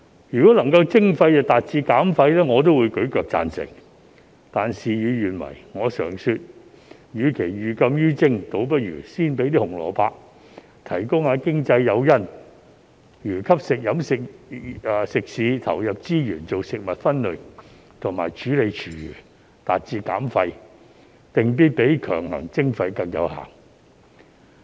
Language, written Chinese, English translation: Cantonese, 如果徵費能夠達致減廢，我也會舉腳贊成，但事與願違，我常說與其寓禁於徵，倒不如先給一些"紅蘿蔔"，提供經濟誘因，例如吸引食肆投入資源做食物分類和處理廚餘，達致減廢，定必比強行徵費更有效。, If waste reduction can be achieved by levying charges I will also give my full support but things did not turn out as we wished . I always say that instead of imposing prohibitive levies it would be better to give some carrots first . The provision of economic incentives to for example encourage restaurants to put in resources for food waste separation and treatment is definitely more effective than the introduction of mandatory charges in achieving waste reduction